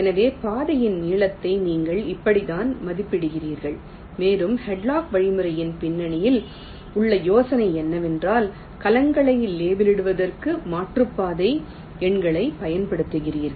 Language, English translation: Tamil, ok, so this is how you are estimating the length of the path and the idea behind hadlock algorithm is that you use the detour numbers to label the cells